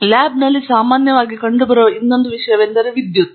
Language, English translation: Kannada, The other thing that is commonly present in a lab is electricity